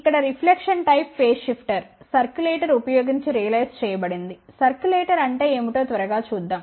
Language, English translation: Telugu, Here reflection type phase shifter is realized using circulator, lets quickly look at what is a circulator